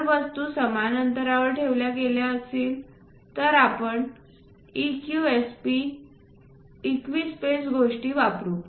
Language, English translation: Marathi, If things are equi spaced we go with EQSP equi space kind of things